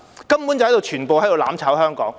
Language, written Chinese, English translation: Cantonese, 根本他們全部都是在"攬炒"香港。, Actually they all seek to plunge Hong Kong into the state of mutual destruction